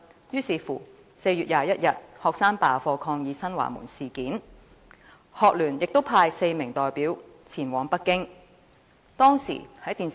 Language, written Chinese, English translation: Cantonese, 於是，學生便在4月21日罷課抗議新華門事件，學聯亦派出4名代表前往北京。, So on 21 April students went on a class boycott to protest against the Xinhuamen incident and the Hong Kong Federation of Students HKFS also sent four representatives to Beijing